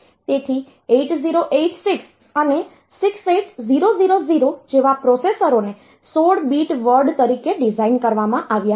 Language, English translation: Gujarati, So, processors like 8086 and 68000 they were designed as 16 bit word